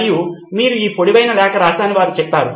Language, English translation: Telugu, And they say well you wrote this long letter